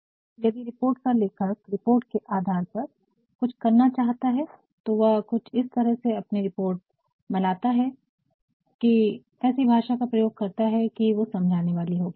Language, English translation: Hindi, Because, if a report writer wants something to be done based on his report he will actually create or he will craft his report in such a manner, provide such a language that can be convincing we shall discuss it further